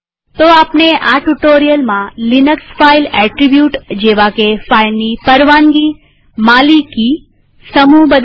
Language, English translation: Gujarati, So in this tutorial we have learnt about the Linux Files Attributes like changing permission, ownership and group of a file